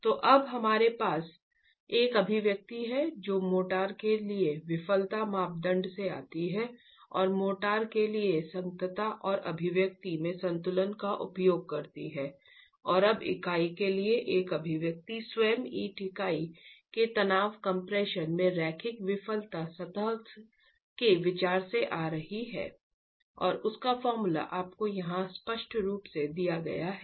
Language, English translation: Hindi, So now we have an expression that comes from the failure criterion for motor and using equilibrium and compatibility an expression for the motor and now an expression for the unit itself coming from the consideration of the linear failure surface in tension compression of the brick unit itself